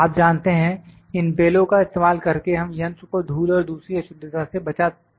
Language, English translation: Hindi, You know we are trying to save the machine using these bellows from the dust and other impurities